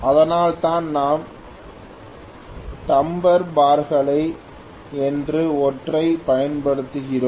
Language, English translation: Tamil, That is why we use something called Damper bars